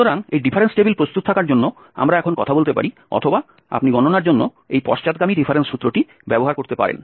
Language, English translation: Bengali, So, having this difference table ready we can now talk about the, or you can we can use this backward difference formula, for the calculations